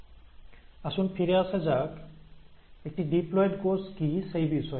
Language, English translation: Bengali, So let us go back to what is a diploid cell